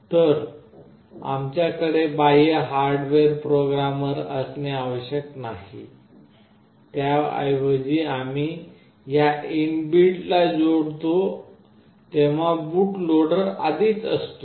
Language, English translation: Marathi, So, we do not need to have any external hardware programmer; rather if when we connect this inbuilt boot loader is already there